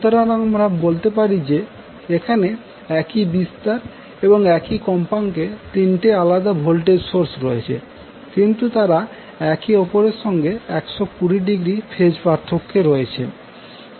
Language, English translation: Bengali, So, you can say that the there are 3 different sources having the same amplitude and frequency, but they will be out of phase by 120 degree